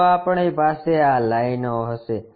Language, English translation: Gujarati, So, we will have these lines